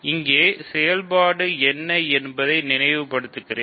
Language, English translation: Tamil, So, let me recall what is the operation here